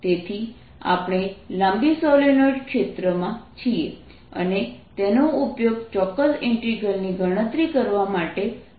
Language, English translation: Gujarati, so we are looking at the field of a long solenoid and use that to calculate a particular integral